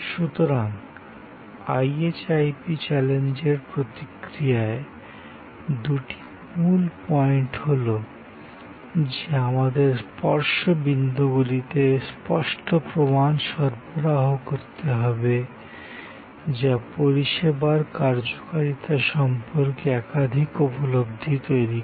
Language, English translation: Bengali, So, in this response to the IHIP challenge, the two key points are that we have to provide tangible clues at the touch points, which create a series of perceptions about the service performance